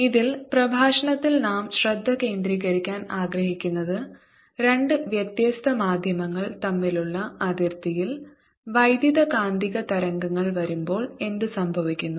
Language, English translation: Malayalam, in this lecture is what happens when electromagnetic waves come at a boundary between two different medium